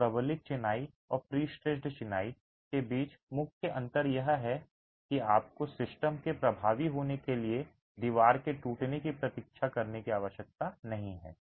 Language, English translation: Hindi, So, the main difference between reinforced masonry and pre stress masonry is that here you don't have to wait for the wall to crack for the system to be effective